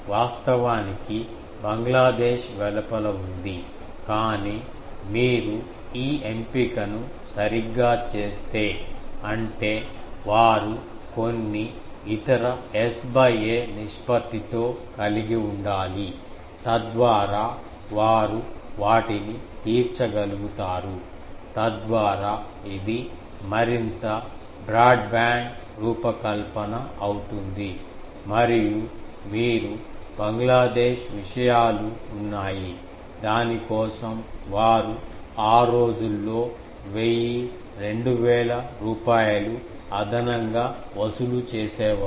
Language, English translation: Telugu, Actually, Bangladesh was outside, but if you do proper these selection; that means, they is to have some other S by ‘a’ ratio, by that they could cater to the things so that it becomes a more broad band design and you Bangladesh things are there, for that they used to charge in those days 1000, 2000 rupees extra for that